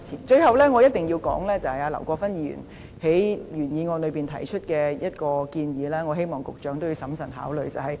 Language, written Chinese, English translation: Cantonese, 最後，我必須談談劉國勳議員在原議案內提出的一個建議，希望局長審慎考慮。, Lastly I must talk about a proposal put forward by Mr LAU Kwok - fan in the original motion and hope that the Secretary could give it careful consideration